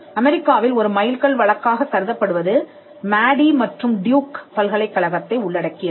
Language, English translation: Tamil, One case which was the landmark case in the US involves Madey versus Duke University